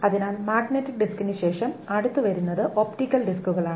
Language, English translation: Malayalam, So after magnetic disk what comes next is the optical disks